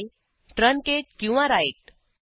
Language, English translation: Marathi, means truncate or write